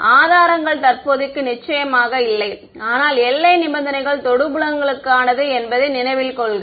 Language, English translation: Tamil, No not no current sources are of course not there, but remember the boundary conditions are for tangential fields